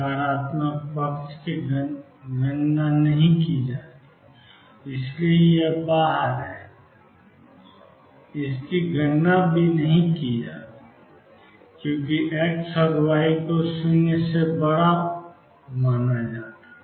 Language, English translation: Hindi, The negative side is not counted, so this is out; this is not counted because x and y are supposed to be greater than 0